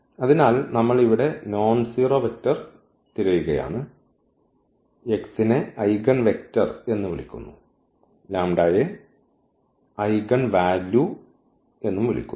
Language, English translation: Malayalam, So, we are looking for the nonzero vector here which is called the eigenvector and this is called the eigenvalue ok